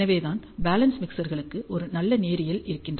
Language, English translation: Tamil, And hence for balance mixers we get a good linearity